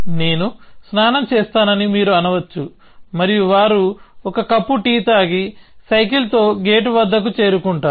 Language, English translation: Telugu, So, you may say I will take a bath and they have a cup of tea and then cycle to the gate